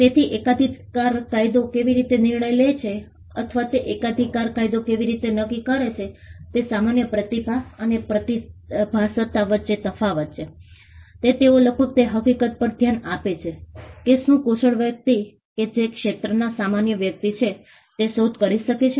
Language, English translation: Gujarati, So, how does patent law decide or how does patent law determine that there is a difference between normal talent and that of a genius they nearly look at the fact whether a skilled person who is an ordinary person in that field could have come up with the invention